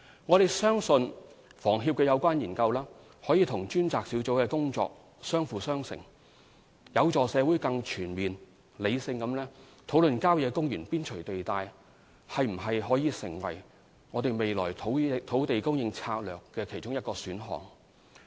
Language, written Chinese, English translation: Cantonese, 我們相信有關研究可與專責小組的工作相輔相成，亦有助社會更全面、理性地討論郊野公園邊陲地帶是否可作為未來土地供應策略的其中一個選項。, We trust that the studies could complement the work of the task force and facilitate public discussion in a more comprehensive and rational manner on whether land on the periphery of country parks could be one of the many options under our land supply strategy